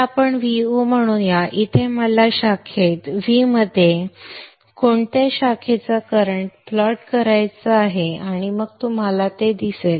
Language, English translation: Marathi, So let us say plot V 0 and also I would like to plot the current, current of which branch, V in branch